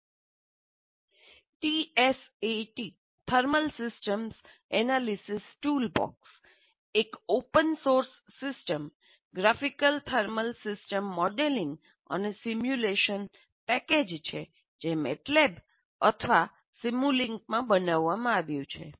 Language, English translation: Gujarati, T SAT thermal systems analysis toolbox, an open source system is a graphical thermal system modeling and simulation package built in MATLAB or simulink